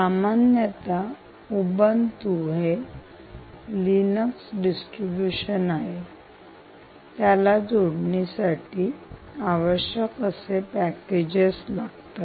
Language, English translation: Marathi, ubuntu is basically linux distribution and it runs all the required necessary packages which will allow us to connect out